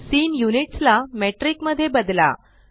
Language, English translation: Marathi, Change scene units to Metric